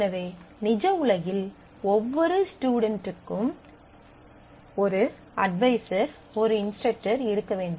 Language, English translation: Tamil, So, in real world, every student must have a an advisor, must have an instructor